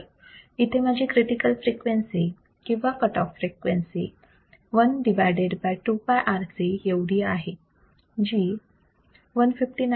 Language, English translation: Marathi, So, my critical frequency or cutoff frequency fc is nothing, but one by 2 pi R C which is equivalent to 159